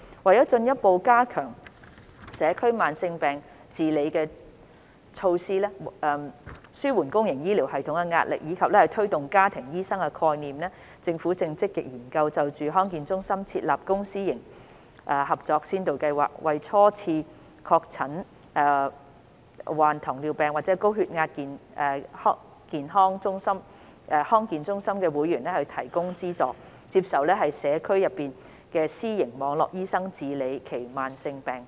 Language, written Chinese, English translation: Cantonese, 為進一步加強社區慢性疾病治理的措施，紓緩公營醫療系統的壓力，以及推動家庭醫生概念，政府正積極研究就康健中心設立公私營協作先導計劃，為初次確診罹患糖尿病或高血壓的康健中心會員提供資助，接受社區內的私營網絡醫生治理其慢性疾病。, To further strengthen the chronic disease management measures in the community relieve the pressure on the public healthcare system and promote the concept of family doctors the Government is actively exploring the implementation of the Pilot Public - Private Partnership Programme in DHCs to offer subsidies to DHC members diagnosed with diabetes mellitus or hypertension for the first time to receive treatment from the private network doctors in the community